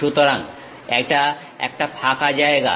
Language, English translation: Bengali, So, it is a blank one